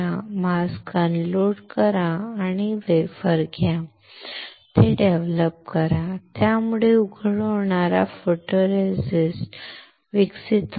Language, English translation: Marathi, Unload the mask, take the wafer develop it, so the photoresist that is that is exposed will get developed